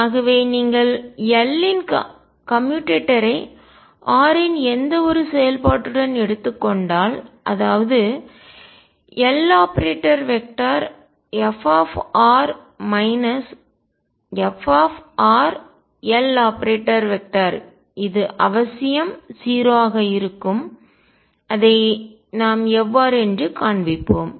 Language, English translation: Tamil, So, if you take the commutator of L with any function of r which means L operating on f minus f r L this will necessarily come out to be 0 how do we show that